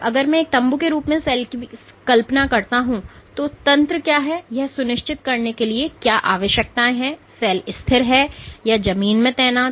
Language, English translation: Hindi, If I want to imagine the cell as a tent what mechanisms are: what are the requirements for ensuring that the cell is stable or it is stabling positioned in the ground